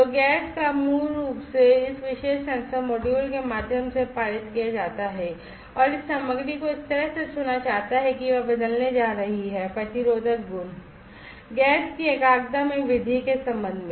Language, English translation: Hindi, So, gas basically is passed through this particular sensor module and this material is chosen in such a way that it is going to change it is resistive properties with respect to the concentration increase in concentration of the chosen gas